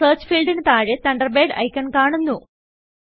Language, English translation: Malayalam, The Thunderbird icon appears under the Search field